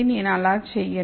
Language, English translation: Telugu, I am not going to do that